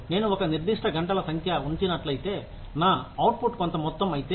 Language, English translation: Telugu, If I put in a certain number of hours, if my output is a certain amount